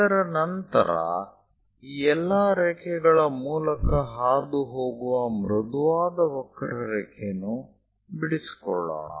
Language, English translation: Kannada, And after that join a smooth curve which pass through all these lines